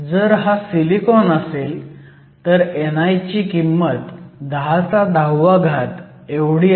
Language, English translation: Marathi, If it is silicon, n i is 10 to the 10